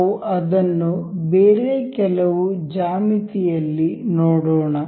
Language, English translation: Kannada, We will check that on some other geometry